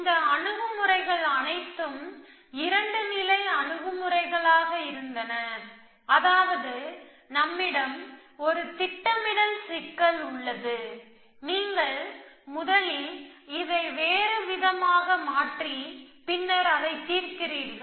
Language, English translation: Tamil, All these approaches were 2 stage approaches which means you have at we have a planning problem, you converted into something else and solve that problem essentially